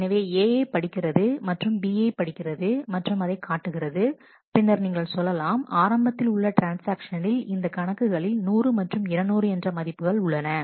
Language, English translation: Tamil, So, it reads A reads B displays and say initially the transaction initially let us say these accounts have values 100 and 200